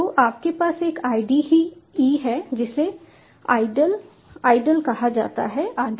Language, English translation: Hindi, so you have a ide called id le idle and so on